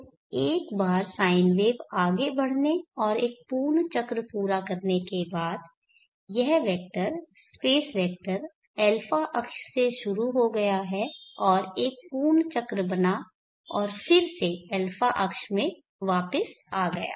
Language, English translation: Hindi, So once the sine wave has progressed and completed 1 complete cycle this vector the space vector has started from the a axis and made a complete circle and come back to the